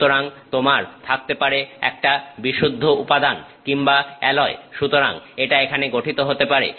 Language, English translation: Bengali, So, you can have a pure material or alloy; so, this can form here